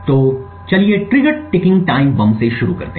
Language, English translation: Hindi, So, let us start with trigger ticking time bombs